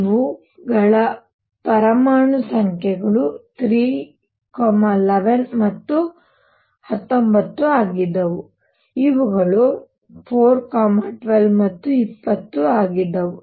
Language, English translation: Kannada, The atomic numbers for these were 3, 11 and 19, for these were 4, 12 and 20